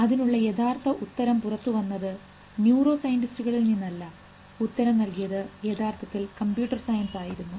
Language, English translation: Malayalam, And the first answer which came from was not from neuroscientist, but it came from computer sciences actually